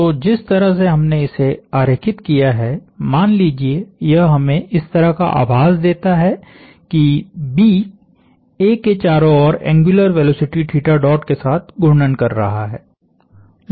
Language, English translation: Hindi, So, if I, the way we drawn this let say it gives us the impression that B is rotating about A at an angular velocity theta dot, with an angular velocity theta dot